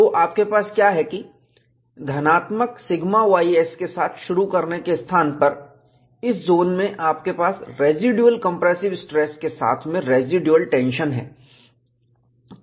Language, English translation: Hindi, So, what you have is, instead of positive sigma y s, to start with, it has a residual compressive stress, in this zone, followed by residual tension